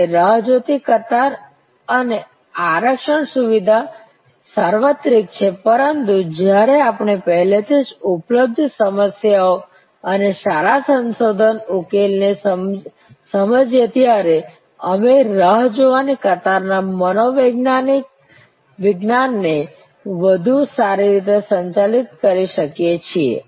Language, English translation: Gujarati, And waiting line and reservations system are universal, but we can manage the psychology of the waiting lines better once we understand the problems and good research solution, that are already available